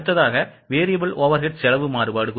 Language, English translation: Tamil, So, this is variable overhead variance